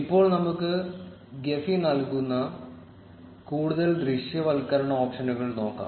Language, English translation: Malayalam, Now, let us look at more visualization options provided by Gephi